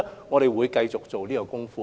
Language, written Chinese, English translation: Cantonese, 我們會繼續在這方面做工夫。, We will continue with our work in this respect